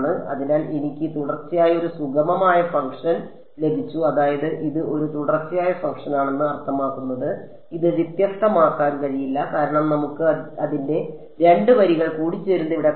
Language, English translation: Malayalam, So, I have got a smooth function continuous I mean it's a continuous function its not differentiable because we can see its like 2 lines meeting here